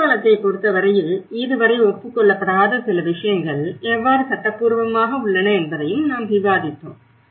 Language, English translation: Tamil, And in the case of Nepal, we also discussed about how legally that is certain things which have not been acknowledged so far